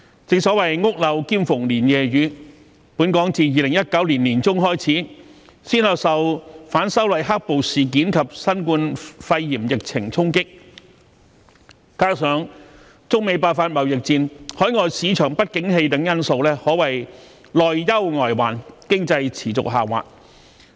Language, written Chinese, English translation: Cantonese, 正所謂"屋漏兼逢連夜雨"，本港自2019年年中開始，先後受"反修例黑暴事件"及新冠肺炎疫情衝擊，加上中美爆發貿易戰、海外市場不景氣等因素，可謂內憂外患，經濟持續下滑。, As the saying goes it never rains but pours . Since mid - 2019 Hong Kong has been hit by black - clad violence stemming from the anti - extradition bill protest and the coronavirus epidemic . Coupled with the outbreak of the trade war between China and the United States and the economic downturn in overseas market Hong Kong has been under internal and external threats and the economy is declining